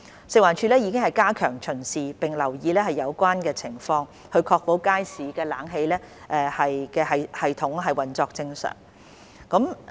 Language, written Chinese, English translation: Cantonese, 食環署亦已加強巡視並留意有關情況，確保街市冷氣系統運作正常。, FEHD has also stepped up inspection and paid extra attention to the relevant situation to ensure the normal operation of the air - conditioning system